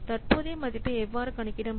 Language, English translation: Tamil, So, how we can compute the present value